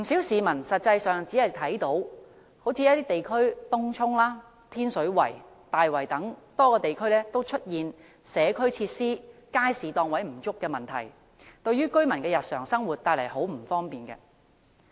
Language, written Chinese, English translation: Cantonese, 實際上，一些地區，例如東涌、天水圍和大圍等多個地區都出現社區設施和街市檔位不足等問題，對居民的日常生活帶來很多不便。, In fact in areas such as Tung Chung Tin Shui Wai and Tai Wai there are the problems of inadequate community facilities and market stalls causing inconveniences to the daily lives of residents . Moreover the deletion of the population - based planning standard for market stalls has given rise to loopholes